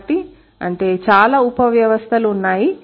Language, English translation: Telugu, So, that means there are many subsystems